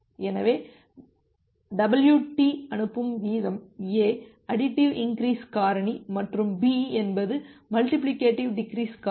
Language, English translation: Tamil, So, let wt be the sending rate and a is an additive increase factor and b is the multiplicative decease factor